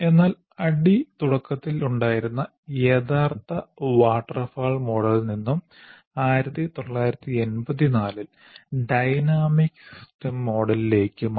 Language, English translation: Malayalam, But ADI from its original waterfall model changed to dynamic system model in 1984